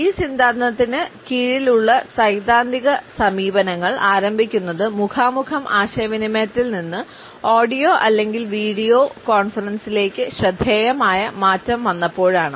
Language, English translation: Malayalam, The theoretical approaches which come under this theory is started when there was a remarkable shift from a face to face communication to audio or video conferencing